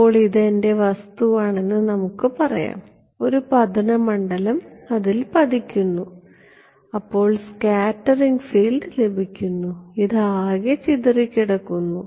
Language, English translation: Malayalam, So, let us say this is my object right some incident field is falling on it, and something is getting scattered field this is scattered this is total